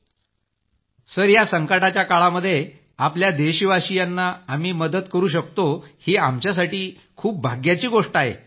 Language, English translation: Marathi, Sir we are fortunate to be able to help our countrymen at this moment of crisis